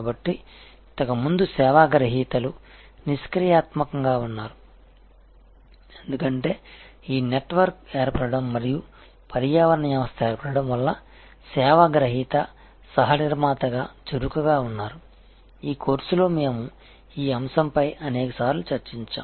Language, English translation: Telugu, So, earlier service recipient were passive, because of this network formation and ecosystem formation service recipient is active as a co producer, this aspect we have discussed number of times during this course